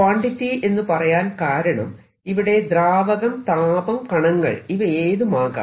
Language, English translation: Malayalam, i am writing quantity because it could be fluid, it could be some particle, it could be some heat